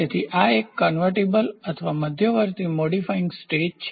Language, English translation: Gujarati, So, this is a convertible or intermediate modifying stage